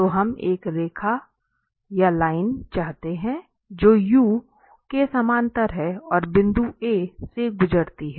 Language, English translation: Hindi, So, we want to have a line which is parallel to this u and passes through this point A